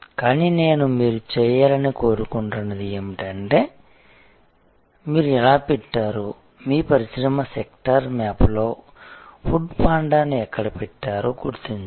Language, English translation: Telugu, But, what I would like you to do is to identify that how do you put, where did you put food panda on the industry sector map